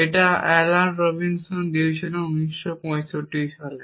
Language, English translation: Bengali, This is given by Alan Robinson in nineteen sixty five